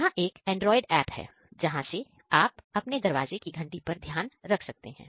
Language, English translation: Hindi, This is the android app from here you can monitor your doorbell using the remote click